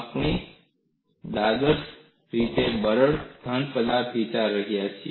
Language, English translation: Gujarati, We are considering ideally brittle solids